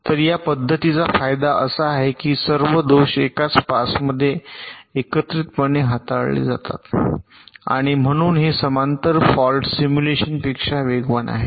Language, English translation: Marathi, so the advantage of this method is that all faults are handled together in a single pass and therefore it is faster than parallel fault simulation